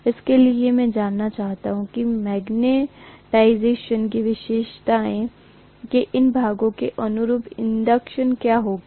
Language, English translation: Hindi, So I want to get what is the inductance corresponding to these portions of the magnetization characteristics